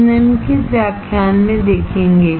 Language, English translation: Hindi, We will see in the following lectures